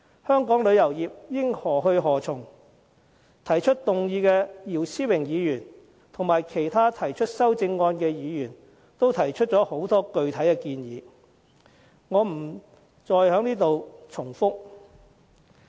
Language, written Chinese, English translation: Cantonese, 香港旅遊業應何去何從，動議議案的姚思榮議員及其他提出修正案的議員均提出了很多具體建議，我便不再重複。, Mr YIU Si - wing who moved the motion and Members who proposed amendments to the motion have put forward many specific suggestions and I shall not repeat